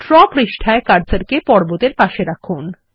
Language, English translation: Bengali, On the draw page place the cursor next to the Mountain